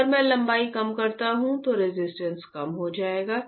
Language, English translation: Hindi, If I decrease the length, resistance would decrease